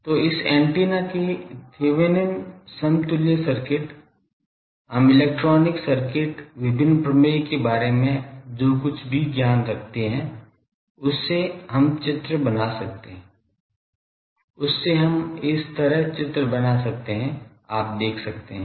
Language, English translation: Hindi, So, Thevenin’s equivalent circuit of this antenna, we can draw from our whatever knowledge we have about electronic circuits, various theorems from that we can draw like this, you see